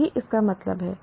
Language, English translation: Hindi, That is the goal